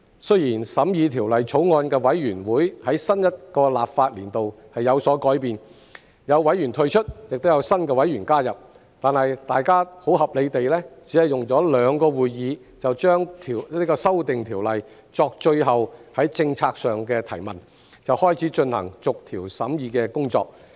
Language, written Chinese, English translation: Cantonese, 雖然審議《條例草案》的委員會在新一個立法年度有所改變，有委員退出，亦有新委員加入，但大家很合理地只用了兩個會議就《條例草案》作最後政策上的提問，便開始進行逐條審議的工作。, Despite the changes in the committee formed to study the Bill in the new legislative session with members withdrawing and new members joining we only held two meetings to raise final policy questions on the Bill in a very reasonable manner before proceeding with the clause - by - clause examination of the Bill